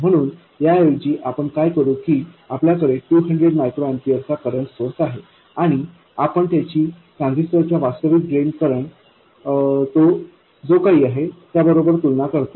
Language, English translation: Marathi, So, instead of this, what we do is we have a 200 microampure current source and we compare that to the actual drain current of the transistor, whatever that is